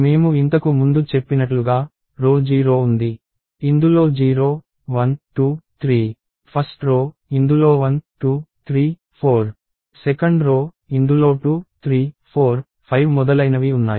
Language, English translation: Telugu, And as I mentioned earlier, there is row 0, which has 0, 1, 2, 3; row 1, which has 1, 2, 3, 4; row 2, which has 2, 3, 4, 5 and so on